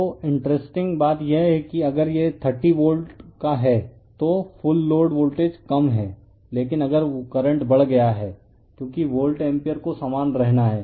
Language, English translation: Hindi, So, interestingly if you see this side it is your 30 volt right full load voltage has low, but at the same time if current has increased because volt ampere has to remain your same